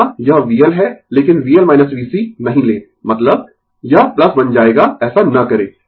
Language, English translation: Hindi, Here it is V L, but do not take V L minus V C means; it will become plus do not do that